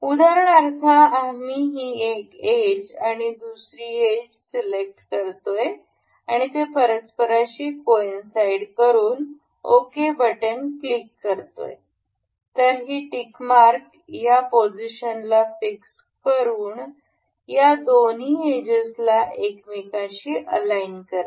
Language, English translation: Marathi, For instance we will select this edge and this edge, this coincides with each other and if we click tick ok, this tick mark it fixes this position as and aligns edges with each other